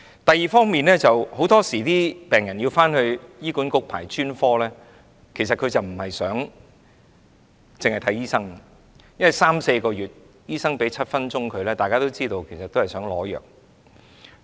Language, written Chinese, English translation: Cantonese, 第二方面，很多時病人到醫管局輪候專科服務，並非單單為看醫生，因為等候三四個月才獲醫生診症7分鐘；大家都知道，其實他們是要取藥。, Secondly many patients wait for HAs specialist services not purely for the sake of consultation as a patient only has seven minutes to consult the doctor after waiting for three to four months . We all understand that they actually aim to get the prescription drugs